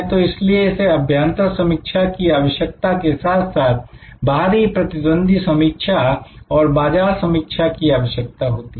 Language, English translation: Hindi, So, therefore it needs internal analysis as well as external competitive analysis and so on, market analysis